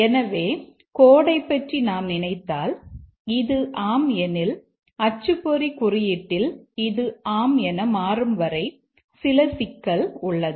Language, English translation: Tamil, So, if we think of the code, if this becomes yes, then in the printer code there is some problem as long as this becomes yes